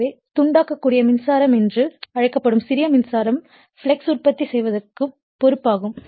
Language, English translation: Tamil, So, small current called exciting current will be responsible actually for you are producing the flux